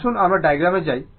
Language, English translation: Bengali, Let us go to the diagram